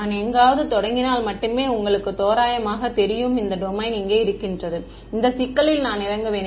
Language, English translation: Tamil, Only if I start somewhere in you know roughly this domain over here then will I land up at this problem over here